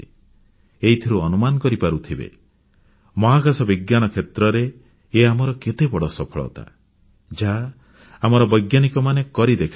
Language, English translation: Odia, You can well imagine the magnitude of the achievement of our scientists in space